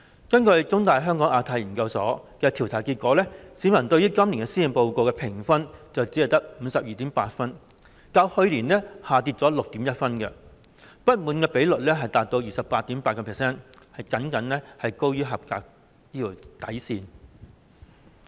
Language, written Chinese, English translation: Cantonese, 根據香港中文大學香港亞太研究所的調查結果，市民對今年施政報告的評分只有 52.8 分，較去年下跌 6.1 分，表示不滿的受訪者比率達到 28.8%， 僅高於合格的水平。, According to a survey conducted by the Hong Kong Institute of Asia - Pacific Studies of The Chinese University of Hong Kong the publics rating for this years Policy Address is only 52.8 points down 6.1 points from last year . The ratio of dissatisfied respondents reached 28.8 % which is only slight higher than a passing rating